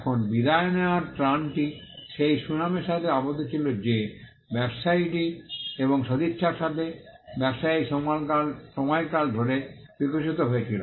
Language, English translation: Bengali, Now, the relief of passing off was tied to the reputation that, the trader had and to the goodwill that, the trader had evolved over a period of time